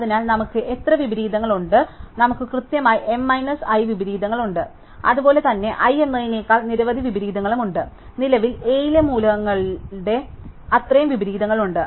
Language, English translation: Malayalam, So, how many inversions do we have, we have exactly m minus i inversions, we have as many inversions as so this is i, we have as many inversions as are elements currently in A, which is m minus i